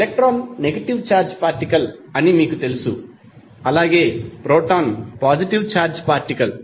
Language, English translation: Telugu, You know that the electron is negative negative charged particle while proton is positive charged particle